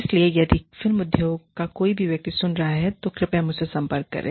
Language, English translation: Hindi, So, if anybody from the film industry is listening, please get in touch with me